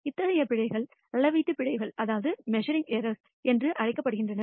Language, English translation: Tamil, Such errors are called measurement errors